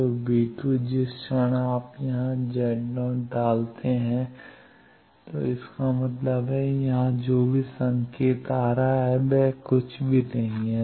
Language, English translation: Hindi, So, v2 plus the moment you put Z 0 here v2 plus; that means, whatever signal is coming from here nothing is going